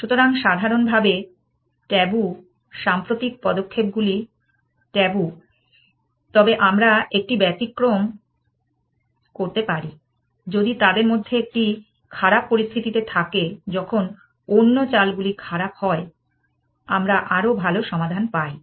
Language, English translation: Bengali, So, tabu in general, recent moves are tabu, but we can make an exception, if one of them in a bad situation, when the other moves are bad, gives us a much better solution